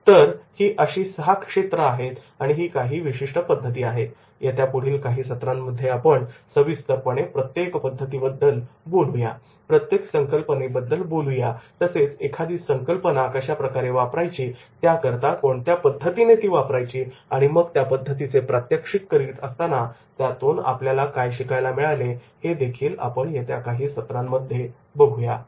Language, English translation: Marathi, So these are the six areas and these are these certain methods and in subsequent sessions I will talk about the individually about each method the concepts in detail the methodology which is how to use that particular concept then demonstrating that particular concept and then making the lessons of learning out of these concepts so the training sessions will be demonstrated in the subsequent sessions